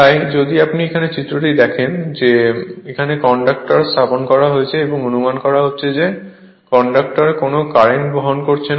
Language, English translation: Bengali, So, just if you see the diagram here that these are the conductors placed and assuming the conductor is not carrying any currents